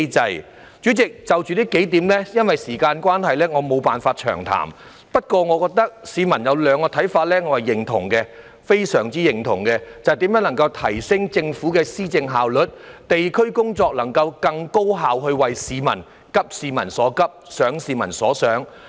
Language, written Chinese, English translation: Cantonese, 代理主席，就着這幾點，因為時間關係，我沒法詳談。不過，市民有兩個看法我是非常認同的，便是如何提升政府的施政效率，地區工作如何更高效地急市民所急，想市民所想。, Deputy President I cannot go into details on these points because of the time constraint but I very much agree with two public opinions namely on how to enhance the efficiency of governance and how to work more efficiently in the districts to address peoples pressing needs and think what people think